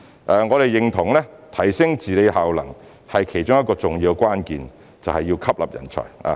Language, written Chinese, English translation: Cantonese, 我們認同提升治理效能的其中一個重要關鍵是吸納人才。, I agree that one of the key factors to enhance the efficiency of policy implementation is to recruit talents